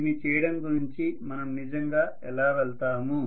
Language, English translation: Telugu, How do we really go about doing it